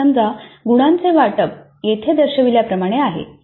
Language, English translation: Marathi, So the marks allocation let us assume is as shown here